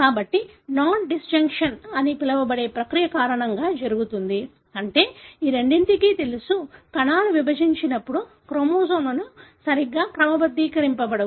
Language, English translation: Telugu, So, this happens because of a process called as nondisjunction, meaning these two, know, when the cells divide, the chromosomes are not sorted properly,